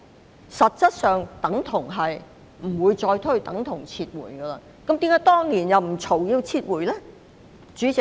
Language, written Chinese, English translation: Cantonese, 這實質上表示不會重推，等同撤回，但為何當年又沒有人要求撤回呢？, That essentially meant the Bill would not be reintroduced which was tantamount to a withdrawal . Why did no one demand a withdrawal back then?